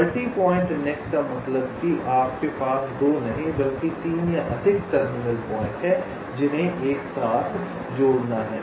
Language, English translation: Hindi, multi point net means you have not two but three or more terminal points which have to be connected together